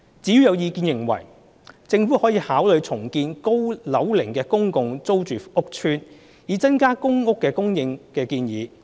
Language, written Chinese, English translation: Cantonese, 至於有意見認為，政府可考慮重建高樓齡公共租住屋邨，以增加公屋供應。, There have been views that the Government may consider redeveloping aged PRH estates to increase the supply of PRH